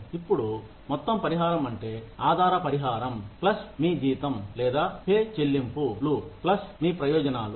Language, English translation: Telugu, Now, total compensation refers to, the base compensation, plus your salary or pay incentives, plus your benefits